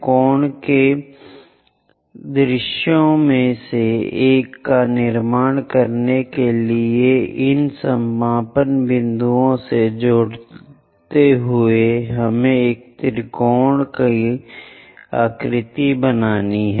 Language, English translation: Hindi, Join these end points to construct one of the view of a cone which looks like a triangle